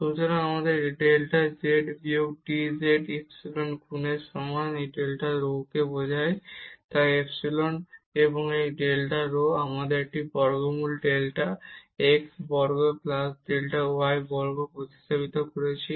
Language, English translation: Bengali, So, we have delta z minus this dz is equal to epsilon times this delta rho which implies, so the epsilon and this delta rho we have substituted a square root delta x square plus delta y square